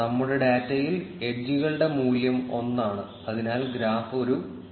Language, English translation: Malayalam, In our data, the weight of the edges is one, therefore, the graph is a straight line